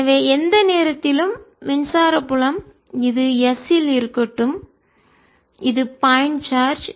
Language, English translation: Tamil, so at any point, electric field, let this is at s and this is a point charge